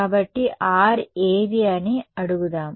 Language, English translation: Telugu, So, let us ask what is R right